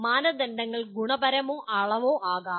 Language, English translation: Malayalam, The standards may be either qualitative or quantitative